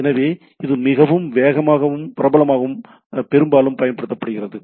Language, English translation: Tamil, So it is much faster and popular and mostly used